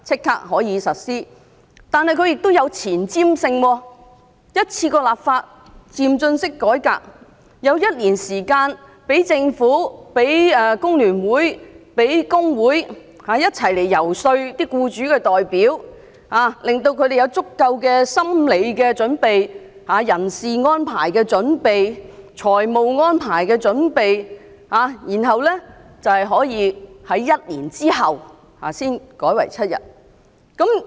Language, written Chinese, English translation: Cantonese, 但是，它亦具有前瞻性，一次過立法，漸進式改革，有一年時間讓政府、讓工聯會、讓工會一起遊說僱主代表，令他們有足夠心理準備，人事安排的準備、財務安排的準備，然後一年後才改為7天。, The proposal is also forward looking bringing about a progressive reform by enacting the relevant legislation in one go . During the one year transitional period the Government FTU and other trade unions can work together in lobbying representatives of employers . Employers will thus be well - prepared psychologically and relevant personnel and financial arrangements can be made before paternity leave is extended to seven days one year later